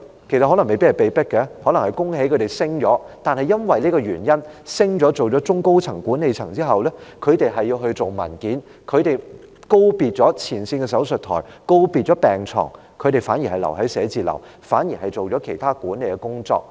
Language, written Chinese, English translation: Cantonese, 其實，他們未必是被迫成為管理層，可能我要恭喜他們獲得晉升，但基於他們晉升成為中高層的管理層後，他們要處理文件，告別前線的手術枱和病床，他們反而留在寫字樓，做其他管理工作。, I may have to congratulate them for being promoted as such . But since they are promoted to the management team at the upper to middle levels they have to deal with documents leaving behind the operating tables and hospital beds at the frontline . Instead they have to stay in the office and engage in other management work